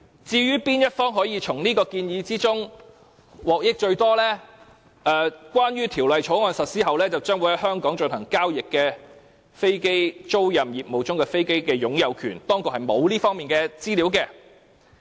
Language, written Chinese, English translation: Cantonese, "至於哪一方可從此項建議中得益最多，政府當局解釋，關於條例草案實施後將會在香港進行交易的飛機租賃業務中的飛機的擁有權，當局並無這方面的資料。, As regards which party may benefit most from the proposal the Administration explains that there is no information on the ownership of such aircraft in the aircraft leasing business that would be transacted in Hong Kong following the implementation of the Bill . We can therefore say that the Government has not studied this topic